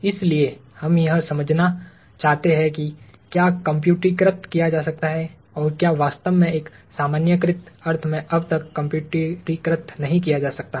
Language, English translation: Hindi, So, we want to understand what can be computerized and what really cannot be computerized as of now in a generalized sense